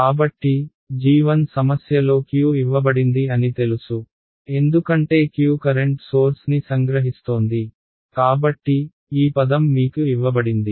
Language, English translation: Telugu, So, g 1 is known Q has been given to in the problem, because Q is capturing what the current source, so, this term is given to you ok